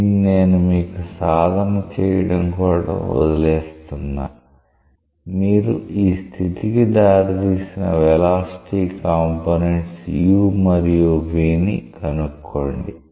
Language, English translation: Telugu, So, I will leave it you to you on it as an exercise you find out what are the velocity components u and v, that will lead to this condition